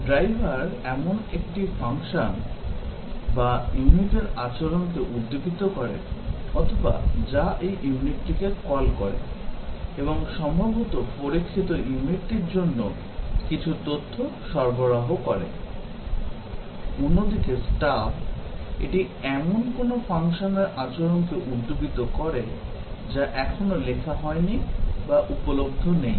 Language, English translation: Bengali, A driver is one which simulates the behavior of the function or the unit that calls this unit and possibly supplies some data to the unit being tested; whereas, the stub, it simulates the behavior of a function that has not yet been written or it is not available